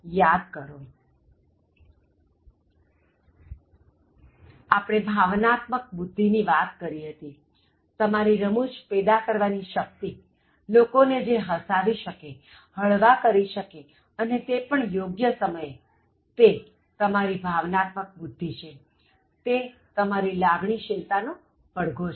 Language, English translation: Gujarati, Remember, we talked about emotional intelligence, humour, your ability to cause humour, your ability to assist what makes people laugh, what makes people relax and say it at the appropriate time, it is part of your emotional intelligence, it represents your EQ